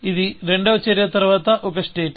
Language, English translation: Telugu, This is a state after action two